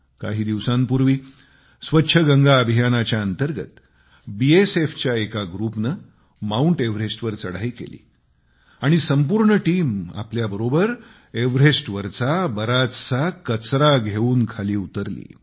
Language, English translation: Marathi, A few days ago, under the 'Clean Ganga Campaign', a group from the BSF Scaled the Everest and while returning, removed loads of trash littered there and brought it down